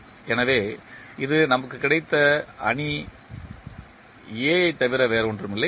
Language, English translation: Tamil, So, this is nothing but the matrix A we have got